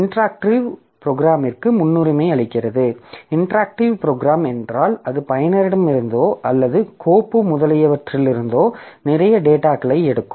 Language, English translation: Tamil, So, interactive program means so it will be taking lot of data from the user or the file etc